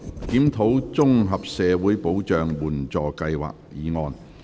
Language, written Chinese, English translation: Cantonese, "檢討綜合社會保障援助計劃"議案。, Motion on Reviewing the Comprehensive Social Security Assistance Scheme